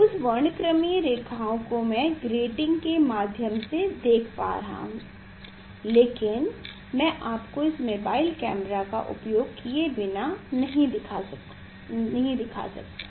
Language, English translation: Hindi, that spectral lines if I see through the grating then I will be able to see the spectral lines, but I cannot this show you without using this mobile camera